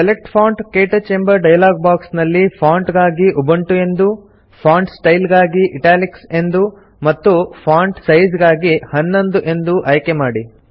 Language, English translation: Kannada, In the Select Font KTouch dialogue box, let us select Ubuntu as the Font, Italic as the Font Style, and 11 as the Size